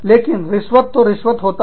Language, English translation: Hindi, But, a bribe is a bribe